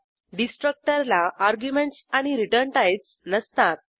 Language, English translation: Marathi, A destructor takes no arguments and has no return types